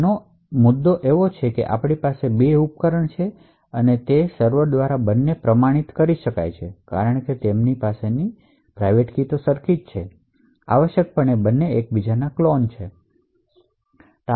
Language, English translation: Gujarati, The issue with this is that now I would have two devices, and both can be authenticated by the same server because they would have the same private key in them, essentially both are clones of each other